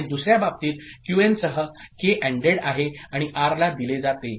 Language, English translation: Marathi, And in the other case K is ANDed with Qn, and fed as R ok